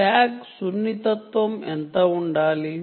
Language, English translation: Telugu, what should be the tag sensitivity